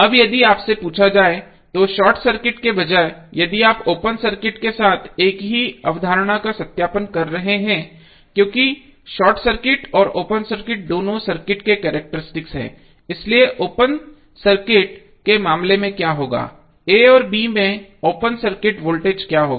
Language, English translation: Hindi, Now, instead of short circuit suppose if you are asked, if you are verifying the same concept with the open circuit because short circuit and open circuit are both the characteristic of the circuit, so in case of open circuit what will happen what would be the open circuit voltage across a and b